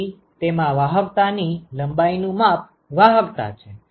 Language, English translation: Gujarati, So, it contains conductivity length scales and conductivity